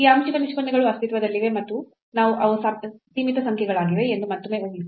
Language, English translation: Kannada, So, assuming again that these partial these derivatives exist and they are finite numbers